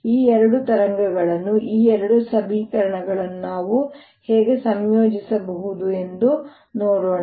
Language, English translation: Kannada, let us see how we can combine these two waves, these two equations